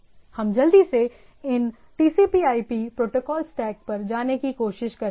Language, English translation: Hindi, So, if we quickly try to visit these TCP/IP protocol stack